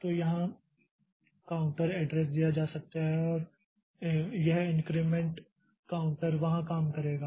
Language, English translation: Hindi, So, counter address can be given here and this increment counter will be working there